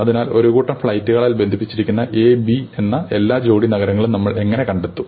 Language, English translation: Malayalam, So, how do we find out all pairs of cities A, B, such that A and B are connected by a sequence of flights